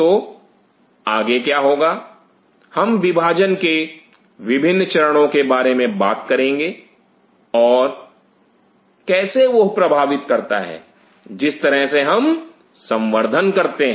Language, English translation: Hindi, So, what will do next is we will talk about the different stages of division and how that influences the way we are conducting the culture